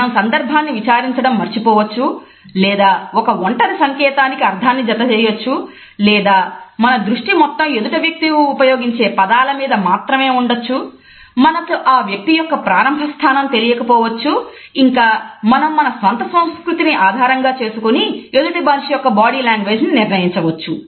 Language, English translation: Telugu, We may forget to consider the context or associate the meaning with a single gesture, we focus too much on what is being said with the help of words we do not know what has been the starting point of a person and we just the body language of another person through the bias of one’s own culture